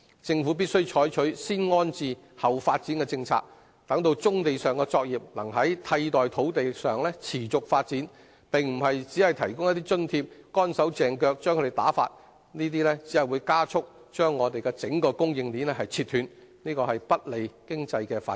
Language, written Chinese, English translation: Cantonese, 政府必須採取"先安置，後發展"的政策，讓棕地上的作業能在替代土地上持續發展，而並非只提供一些津貼，"乾手淨腳"地把其打發，這只會加速割斷整個供應鏈，不利經濟發展。, The Government must adopt the rehouse first develop later policy to allow sustainable development of brownfield operations at alternative sites instead of moving these operations away simply with the granting of certain subsidies since this is detrimental to economic development and will only cut off the entire supply chain at a faster speed